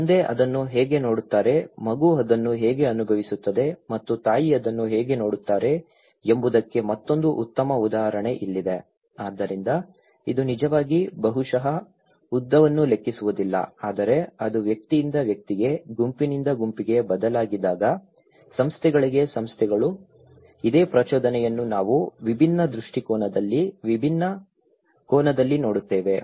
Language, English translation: Kannada, Here is another good example that how dad sees it, how the kid experience it and how mom sees it, so itís not actually maybe that does not matter the length but when it varies from person to person, individual to individual, group to group, institution to institutions, this same stimulus we see in a different perspective, in a different angle